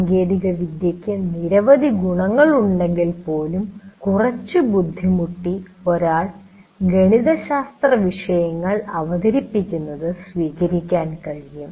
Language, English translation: Malayalam, So while the technology has several advantages, with some difficulty one can adopt to even presenting mathematical subjects as well